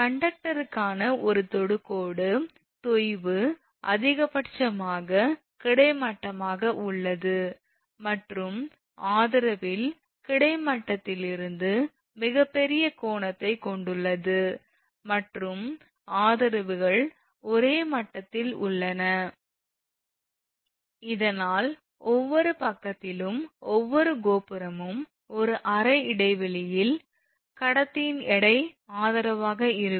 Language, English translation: Tamil, A line tangent to the conductor is horizontal at the point where sag is maximum and has greatest angle from the horizontal at the support and the supports are at the same level thus the weight of the conductor in one half span on each side is your supported at each tower because tower height is same